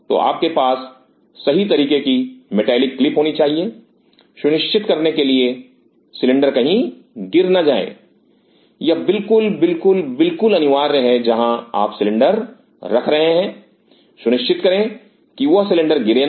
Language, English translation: Hindi, So, you should have proper metallic clips to ensure the cylinder does not fall this is absolute, absolute, absolute essential where you are keeping the cylinder, ensure that that cylinder does not fall